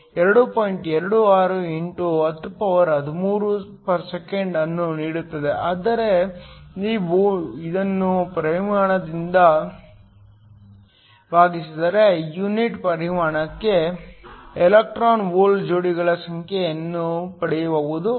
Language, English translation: Kannada, 26 x 1013 S 1, if you divide this by the volume you can get the number of electron hole pairs per unit volume